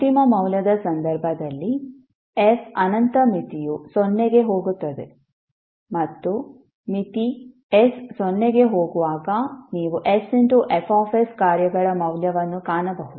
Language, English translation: Kannada, While in case of final value f infinity limit will tends to 0 and you will find the value of function s F s when limit s tends to 0